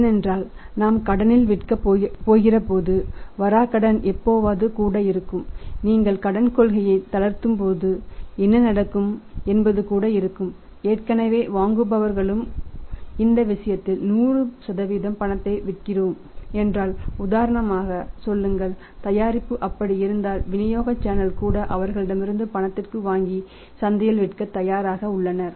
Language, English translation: Tamil, Because when we are going to sell on credit certainly the bad debt are bound to be there even sometime what happens when you relax the credit policy even the existing buyers who are buying say for example in this case if we are selling 100% on cash it means if the product is like that then the buyers of the channel distribution channels of distribution are ready to buy from them on cash and sell it in the market